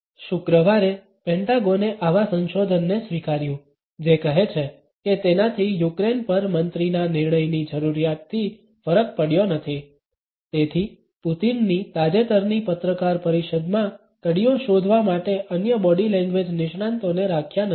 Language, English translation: Gujarati, On Friday, the Pentagon acknowledged such research which says it has not made it difference need minister’s decision making on Ukraine So, that has not kept other body language experts for looking for clues in Putin’s must recent press conference